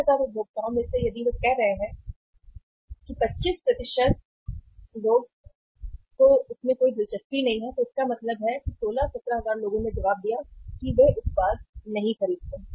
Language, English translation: Hindi, Out of 71,000 consumers if they are saying that 25% of 71,000 people if they are saying that they are not interested it means somewhere 16, 17,000 people have responded that they do not purchase the product